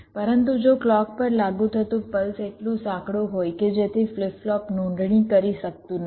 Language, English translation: Gujarati, but what if the pulse that is apply to clock is so narrow that the flip flop is not able to register